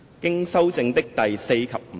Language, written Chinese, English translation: Cantonese, 經修正的第4及5條。, Clauses 4 and 5 as amended